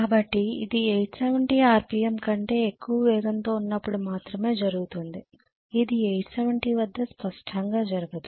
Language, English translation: Telugu, So obviously this can happen only at the speed greater than 870 RPM, it cannot happen at 870 obviously, is this clear